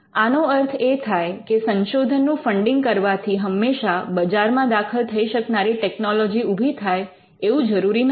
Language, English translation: Gujarati, So, giving fund for research it need not in all cases result in commercially viable technology